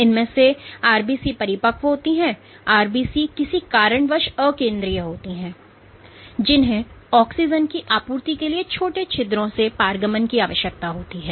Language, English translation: Hindi, So, of these RBCs are mature or mature RBCs are non nucleated for the simple reason that they need to transit through small pores in order to supply oxygen